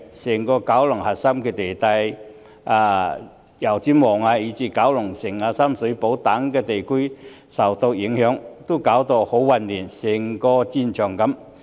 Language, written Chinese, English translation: Cantonese, 整個九龍的核心地帶，包括油尖旺以至九龍城、深水埗等地區均受到影響，情況十分混亂，好像一個戰場。, The core districts throughout the entire Kowloon including Yau Tsim Mong Kowloon City and Sham Shui Po were all affected creating highly chaotic scenes which resembled those in a battlefield